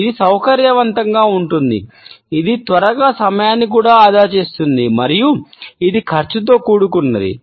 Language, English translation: Telugu, It is convenient of course, it is quick also it saves time and it is cost effective also